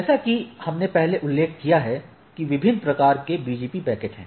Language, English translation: Hindi, Now, as we mentioned earlier, so what are the different BGP packet types right